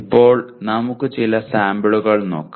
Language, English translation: Malayalam, Now we will look at some of the samples